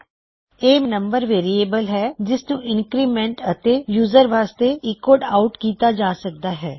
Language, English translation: Punjabi, This is my number variable, this can increment and can be echoed out to the user